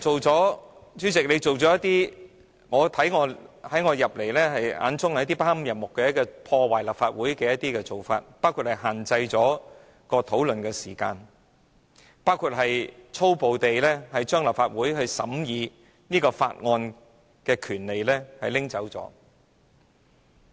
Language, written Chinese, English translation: Cantonese, 主席，你一些做法在我眼中不堪入目及破壞立法會，包括限制辯論的時間，粗暴地將立法會審議法案的權力奪走。, President to me some of your actions are disgusting and have undermined the Legislative Council which include setting a time limit for the debate and forcibly stripping the Legislative Council of its power to scrutinize bills